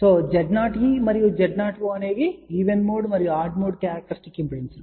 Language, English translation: Telugu, So, Z o e and Z o o are even and odd mode characteristic impedance